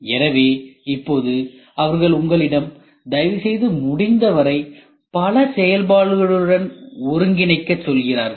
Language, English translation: Tamil, So, now they are also trying to tell you please integrate with multiple functions as much as possible